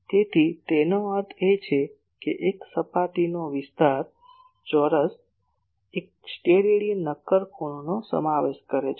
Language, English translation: Gujarati, So, that means, an surface area r square subtends one Stedidian solid angle